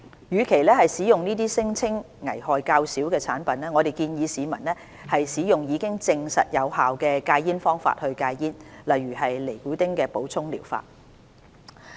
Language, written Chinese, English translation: Cantonese, 與其使用這些聲稱危害較少的產品，我們建議市民使用已證實有效的戒煙方法戒煙，例如尼古丁替補療法。, Our advice is that members of the public rather than using these products that are claimed to be less harmful should quit smoking by using methods that have been proven effective such as nicotine replacement therapy